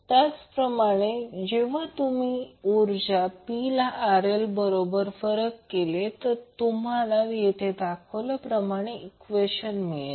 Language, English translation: Marathi, Similarly, when you differentiate power P with respect to RL you get the expression as shown in the slide